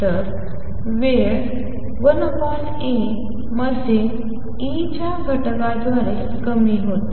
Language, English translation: Marathi, So, it decreases by a factor of E in time 1 over A